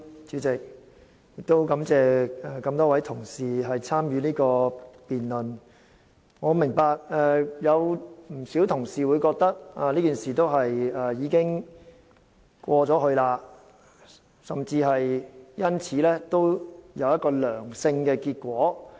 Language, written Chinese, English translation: Cantonese, 主席，感謝多位同事參與這項辯論，我明白有不少同事會覺得事件已經過去，甚至說事件帶來一個正面的結果。, President I thank the several Honourable colleagues for participating in this debate . I noted that quite many of them said the incident was over and some even said that it has brought about a positive result